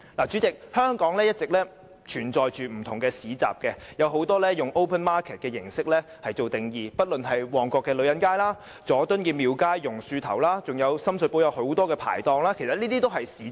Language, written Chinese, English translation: Cantonese, 主席，香港一直也存在不同市集，很多均以 open market 為形式和定義，不論是旺角女人街、佐敦廟街、榕樹頭及深水埗很多的排檔等，其實這些也屬於市集。, President different kinds of bazaars have all along existed in Hong Kong many of which are operated in the form of or come under the definition of an open market . The Ladies Market in Mong Kok Temple Street in Jordon the Banyan tree and the stalls in Sham Shui Po are bazaars too